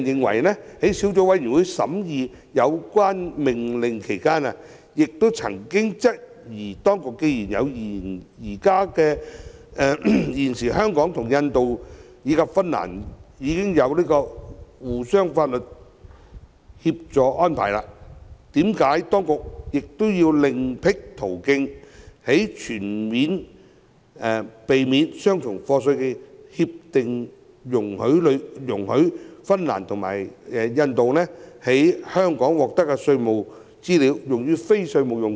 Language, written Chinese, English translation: Cantonese, 相關小組委員會審議該兩項命令時亦曾質疑，既然現時香港與印度及芬蘭已設有相互法律協助安排，為何當局仍要另闢蹊徑，在全面性協定中容許印度和芬蘭政府利用從香港獲取的稅務資料以作非稅務用途？, In scrutinizing the two Orders the relevant Subcommittee also questioned the case for opening up another pathway by the Administration under CDTAs whereby the Governments of India and Finland can use the tax information obtained from Hong Kong for non - tax related purposes when there were already arrangements for mutual legal assistance made by Hong Kong with India and Finland